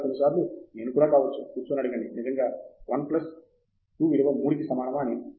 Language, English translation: Telugu, Or sometimes, I even say that maybe you sit down and ask is really 1 plus 2 equals 3 and so on